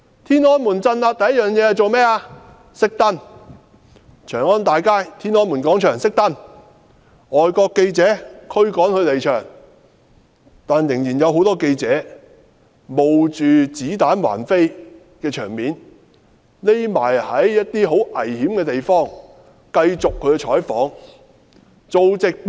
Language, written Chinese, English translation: Cantonese, 天安門鎮壓時，第一件事是"熄燈"，長安街、天安門廣場"熄燈"，驅趕外國記者離場，但仍然有很多記者不顧子彈橫飛，躲在很危險的地方繼續採訪和直播。, When the Tiananmen crackdown happened the first thing was lights out . Lights in Changan Avenue and Tiananmen Square were all turned off and foreign journalists were all driven away . But still many journalists hid themselves in dangerous places and continued to cover the news and made live broadcast disregarding the rain of bullets